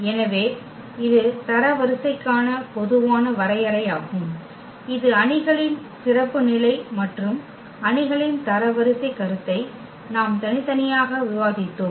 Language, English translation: Tamil, So, this is a more general definition of the rank which the in case of the matrix that is the special case and we have separately discussed the rank concept of the matrix